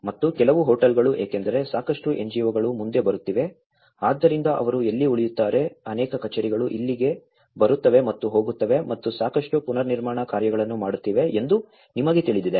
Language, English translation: Kannada, And some of the hotels because a lot of NGOs coming forward, so where do they stay, you know there is many offices coming here and going and doing lot of reconstruction work